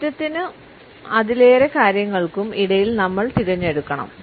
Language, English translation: Malayalam, We have to choose between change and more of the same